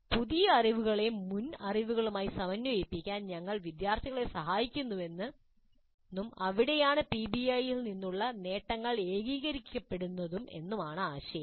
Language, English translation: Malayalam, So the idea is that during the debriefing we help the students to integrate the new knowledge with the previous knowledge and that is where the gains from PBI get consolidated